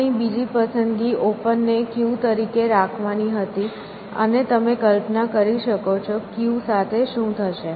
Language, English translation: Gujarati, The other choice we had, was to maintain open as a queue, and as you can imagine, what will happen with a queue is that